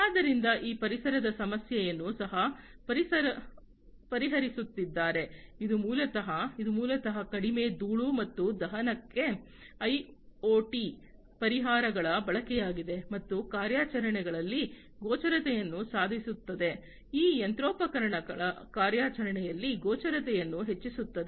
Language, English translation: Kannada, So, they are also into they are also addressing the issue of environment, which will basically, which is basically the use of IoT solutions for reduced dust and ignition, and improving the visibility in the operations, increasing the visibility in the operations of these machinery